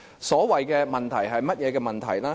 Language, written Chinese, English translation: Cantonese, 所謂的"問題"是甚麼問題呢？, But what are the problems arising from a filibuster?